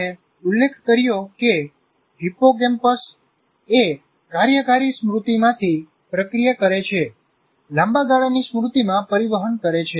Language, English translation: Gujarati, Anyway, that is incidentally, we mentioned that hippocampus is the one that processes from working memory, transfers it to the long term memory